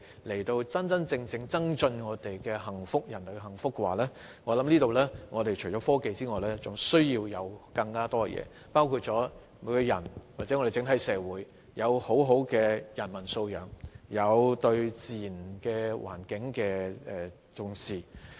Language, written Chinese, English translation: Cantonese, 如要真正令人類更為幸福，我想除了科技外，還需要更多東西，包括每個人或整體社會的良好人文素養，以及對自然環境的重視。, To truly make mankind happier I believe in addition to technology we need many other things including the good humanistic qualities possessed by individuals or societies as a whole as well as the importance attached to the natural environment